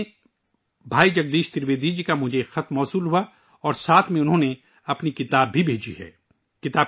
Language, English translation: Urdu, Recently I received a letter from Bhai Jagdish Trivedi ji and along with it he has also sent one of his books